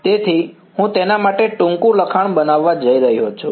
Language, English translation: Gujarati, So, I am going to make a shorthand notation for it